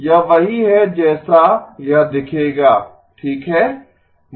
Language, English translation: Hindi, This is what it will look like right